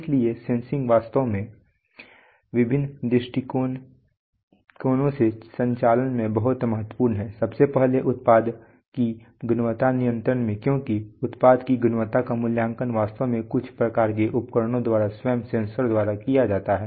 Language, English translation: Hindi, So sensing is actually extremely important in automation from various points of view, firstly in product quality control because the product quality is actually assessed by sensors themselves by some sort of instruments